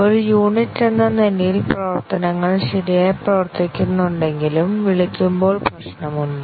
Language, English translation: Malayalam, Even though as a unit the functions worked correctly, during calling there are problem